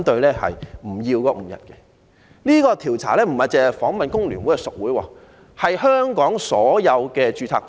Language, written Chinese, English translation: Cantonese, 這項調查不單訪問了工聯會的屬會，亦諮詢了香港所有註冊工會。, In conducting the survey FTU has not only interviewed its member unions but also consulted all registered trade unions in Hong Kong